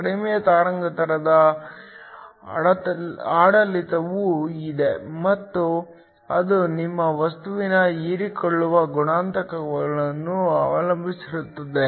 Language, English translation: Kannada, There is also a lower wavelength regime and that depends upon the absorption coefficient of your material